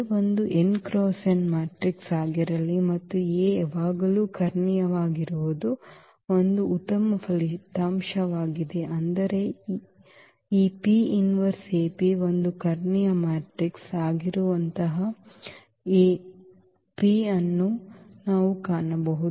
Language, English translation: Kannada, So, let A be an n cross n matrix and that is a nice result that A is always diagonalizable; that means, we can find such A P such that this P inverse AP is a diagonal matrix